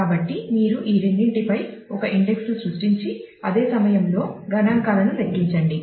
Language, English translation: Telugu, So, you saying that you create an index on both of these and compute the statistics at the same time